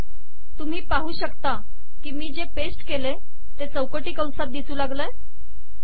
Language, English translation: Marathi, You can see that whatever I have pasted now is within square brackets